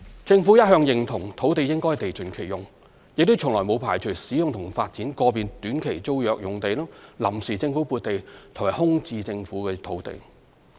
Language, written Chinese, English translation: Cantonese, 政府一向認同土地應地盡其用，亦從來沒有排除使用及發展個別短期租約用地、臨時政府撥地和空置政府土地。, The Government has all along endorsed the principle of land use optimization and we have never precluded the possibility of using and developing individual short - term tenancy sites sites granted by way of temporary Government land allocation and vacant government sites